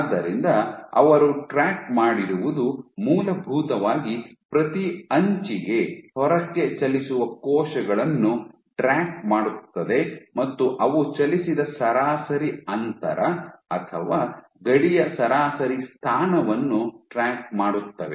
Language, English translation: Kannada, So, what the tracked was essentially for each edge which tracked moved outwards they tracked the average distance moved or average position of the border